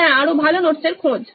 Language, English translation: Bengali, Yeah, seeking for better notes